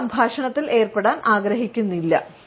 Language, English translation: Malayalam, The person does not want to get involved in the dialogue